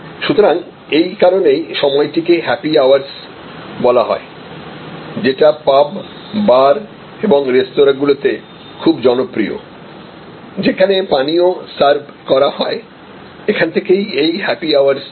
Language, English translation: Bengali, So, this is the that is why the period is called happy hours very popular at pubs bars and a restaurants, where drinks are served; that is where this being happy hours comes from